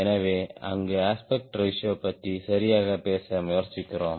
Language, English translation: Tamil, so there we try to talk about aspect ratio